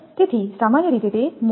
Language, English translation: Gujarati, So, generally it will be expensive